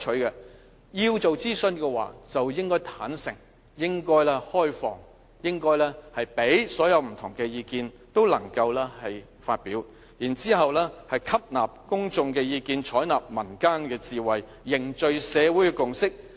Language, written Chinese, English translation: Cantonese, 要做諮詢就應該坦誠、開放，讓不同意見都能發表，然後吸納公眾意見，採納民間智慧，凝聚社會共識。, A consultation should be a frank and open exercise to enable the public to express both their supportive or opposing opinions . Only through soliciting public views and adopting folk wisdom could the Government forge a consensus in society